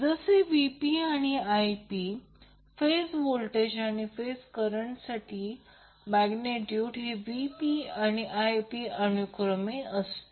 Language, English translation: Marathi, In this case here, Vp and Ip are the phase voltages and phase currents and Vp and Ip is the magnitude of the voltages and currents